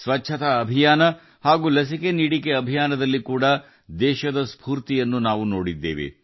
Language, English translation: Kannada, We had also seen the spirit of the country in the cleanliness campaign and the vaccination campaign